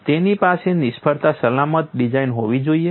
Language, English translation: Gujarati, It is to have a fail safe design